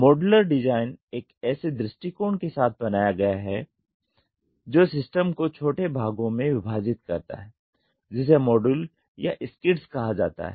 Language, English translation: Hindi, Modular design is made with an approach that subdivides a system into smaller parts called modules or skids